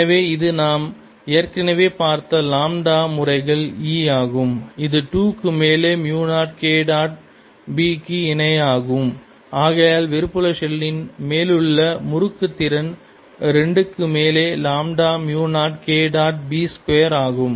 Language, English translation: Tamil, e, which we have already seen, is equal to mu zero, k dot b over two, and therefore torque on the outer shell is going to be lambda mu zero over two k dot b square